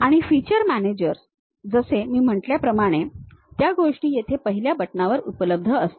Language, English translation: Marathi, And features managers like I said, those things will be available at the first button here